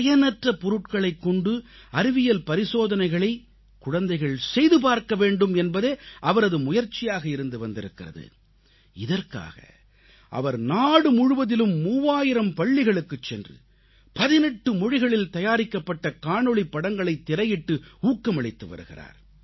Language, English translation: Tamil, He has been trying to get children inspired to conduct scientific experiments using waste; towards this end he has been encouraging children by showing them films made in 18 languages in three thousand schools across the country